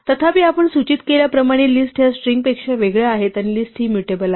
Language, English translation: Marathi, However as we are pointed out lists are difference beast from strings and list are mutable